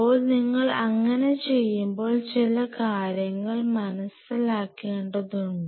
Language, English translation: Malayalam, So, when you do so there are few points what has to be taken to mind